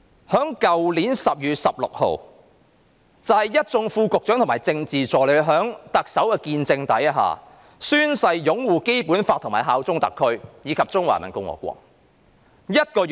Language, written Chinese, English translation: Cantonese, 去年12月16日，一眾副局長和政治助理在特首見證下，宣誓擁護《基本法》，效忠中華人民共和國香港特別行政區。, On 16 December last year all Under Secretaries and Political Assistants took an oath witnessed by the Chief Executive to uphold the Basic Law and bear allegiance to the Hong Kong Special Administrative Region of the Peoples Republic of China